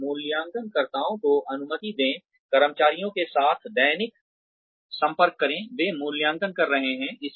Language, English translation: Hindi, And, allow appraisers, substantial daily contact with the employees, they are evaluating